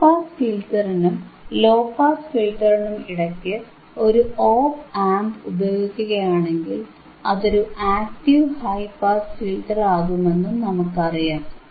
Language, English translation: Malayalam, If you use an op amp in between the high pass filter and the low pass filter, it becomes your active high pass filter a active band pass filter, right